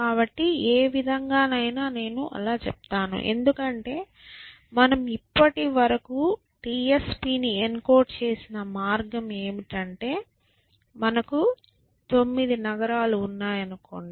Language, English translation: Telugu, So, either way outside let me say that because the way that we have encoded TSP so far is that let us say we have 9 cities